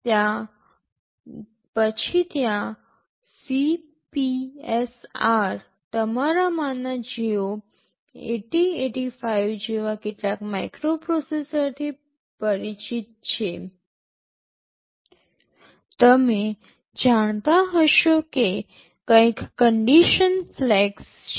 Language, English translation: Gujarati, For those of you who are familiar with the some microprocessors like 8085, you will know that there are something called condition flags